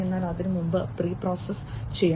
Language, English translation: Malayalam, But before that it has to be pre processed